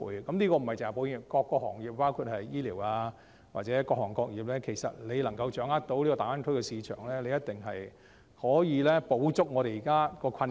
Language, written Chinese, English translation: Cantonese, 這指的不單是保險業，還包括醫療等各行各業，只要掌握大灣區的市場，一定可以補足現時的困境。, This holds true not only to the insurance industry but also to health care and other industries . As long as they take a firm grip of the market in the Greater Bay Area they can certainly get around the present predicament